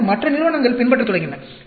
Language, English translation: Tamil, Then, other companies started following